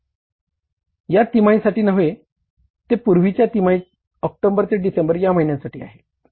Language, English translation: Marathi, This is for the previous quarter from October to December